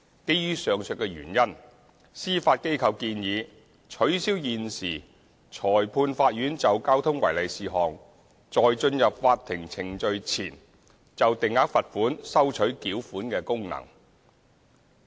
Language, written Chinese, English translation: Cantonese, 基於上述原因，司法機構建議取消現時裁判法院就交通違例事項在進入法庭程序前就定額罰款收取繳款的功能。, Based on the above reasons the Judiciary has proposed to remove the present payment collection functions of the Magistrates Courts for fixed penalty in respect of traffic contraventions before any court proceedings are initiated